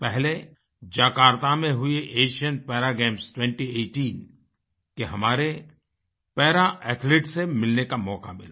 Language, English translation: Hindi, First, I got an opportunity to meet our Para Athletes who participated in the Asian Para Games 2018 held at Jakarta